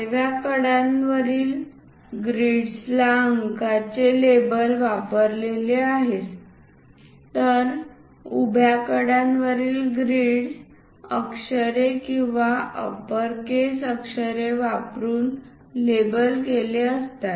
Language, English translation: Marathi, The grids along the horizontal edges are labeled in numerals whereas, grids along the vertical edges are labeled using capital letters or uppercase letters